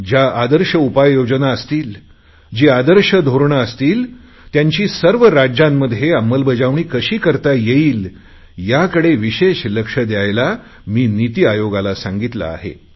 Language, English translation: Marathi, And I have told the Niti Aayog that they should work on how to incorporate the best practices across all the states